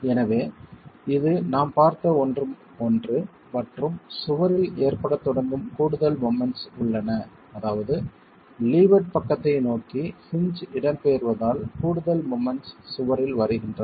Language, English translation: Tamil, So this is something that we looked at and there are additional moments that start occurring in the wall and that is because of the migration of the hinge towards the leeward side causing additional moments to come onto the wall